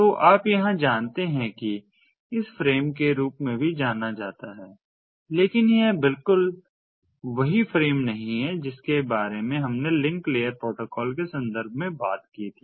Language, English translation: Hindi, so you know, here also, it is known as frame, but it is not the exactly the same frame that we talked about in the context of link layer protocols